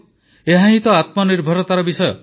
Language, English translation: Odia, This is the basis of selfreliance